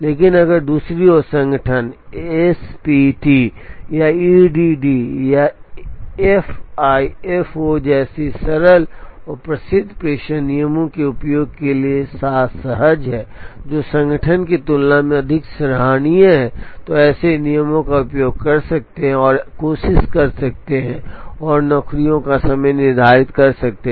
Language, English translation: Hindi, But, if on the other hand the organization is comfortable with the use of simpler and well known dispatching rules like SPT or EDD or FIFO, which is more commonsensical than the organization could use, such rules and try and try and schedule the jobs in the job shop that is being looked at